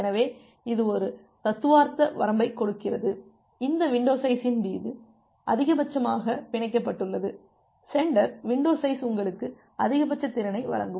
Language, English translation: Tamil, So, this gives a theoretical bound, the maximum bound on this on this window size, the sender window size will which will provide you the maximum capacity